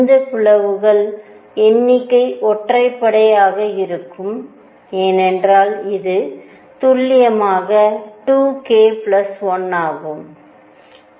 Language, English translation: Tamil, And this number, number of splittings are going to be odd, because this is precisely 2 k plus 1